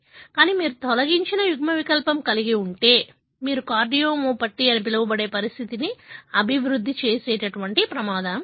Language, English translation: Telugu, But, if you have a deleted allele, you are at higher risk of developing a condition, what is called as cardiomyopathy